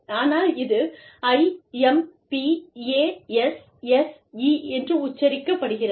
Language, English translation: Tamil, But, it is spelt as, I, M, P, A, S, S, E